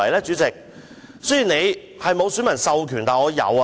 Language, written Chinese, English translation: Cantonese, 主席，雖然你沒有選民授權，但我有。, President you do not have the electors mandate but I do have